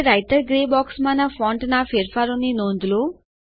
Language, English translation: Gujarati, Now notice the font changes in the Writer gray box